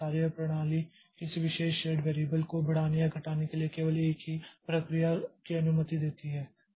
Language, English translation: Hindi, The methodology used to allow only a single process to increment or decrement a particular shared variable